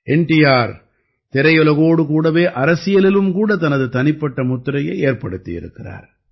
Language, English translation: Tamil, NTR had carved out his own identity in the cinema world as well as in politics